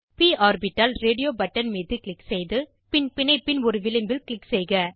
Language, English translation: Tamil, Click on p orbital radio button then click on one edge of the bond